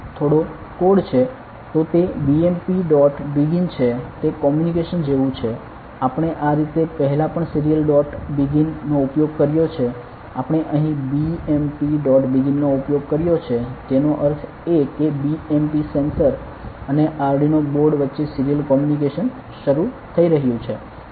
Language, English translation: Gujarati, So, its BMP dot begins it is like the communication we have used before also the serial dot begin similarly, we have used bmp dot begins here; that means, a serial communication is starting between bmp sensor and the Arduino board ok